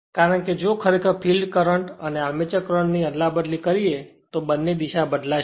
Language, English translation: Gujarati, Because, if you interchange also both the field current and your current armature current both direction will change